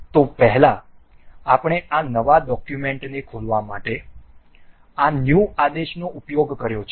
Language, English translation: Gujarati, So now, from now earlier we have been using this new command to open a new document